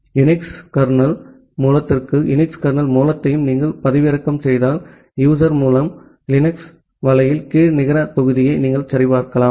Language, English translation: Tamil, If you download the UNIX kernel source inside the UNIX kernel source, you can check the net module under user source Linux net